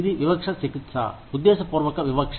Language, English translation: Telugu, Disparate treatment is intentional discrimination